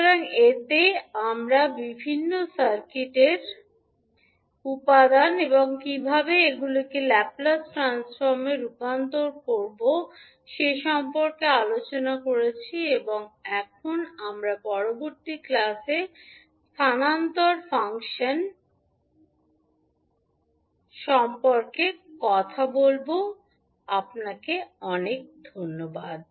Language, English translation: Bengali, So, in this we discussed about various circuit elements and how you can convert them into Laplace transform and we will talk about now the transfer function in the next class, thank you